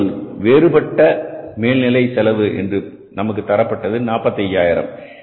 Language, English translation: Tamil, And in case of the variable overheads, the cost given to us is 45,000